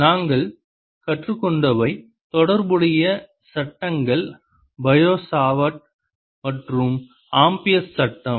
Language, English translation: Tamil, the related laws that we learnt are bio, savart and amperes law